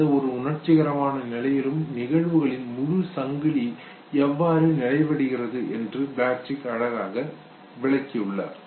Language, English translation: Tamil, Plutchik has beautifully explained how the whole chain of events is completed during any emotional state